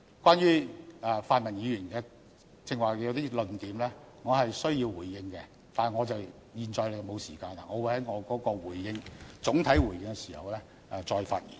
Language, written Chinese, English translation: Cantonese, 關於泛民議員剛才一些論點，我是需要回應的，但我現在沒有時間，我會在總體回應時再發言。, I wish to respond to some arguments raised by pan - democratic Members but I do not have the speaking time now . I will respond to them in may overall reply